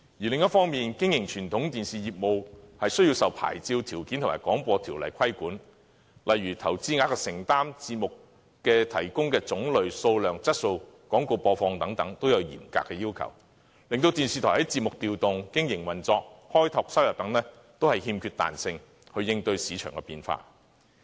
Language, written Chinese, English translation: Cantonese, 另一方面，經營傳統電視業務需要受到牌照條件和《廣播條例》規管，例如在投資額的承擔、提供節目的種類、數量和質素及廣告播放等都有嚴格要求，令電視台在節目調動、經營運作和開拓收入等方面，都欠缺彈性去應對市場變化。, Conversely the businesses of conventional television broadcasters are regulated by their own licensing conditions as well as the Broadcasting Ordinance which mandates strict compliance in such areas as commitment in investment the variety quantity and quality of programming provision as well as the airing of advertisement so that television broadcasters are stripped of the flexibility to address market shifts with programming adjustment business operation revenue generation and so on